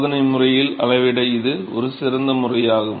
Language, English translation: Tamil, So, that is an excellent method to measure experimentally